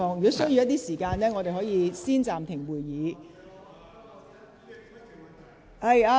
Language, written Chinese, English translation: Cantonese, 如有需要，我可以暫停會議。, If necessary I can suspend the meeting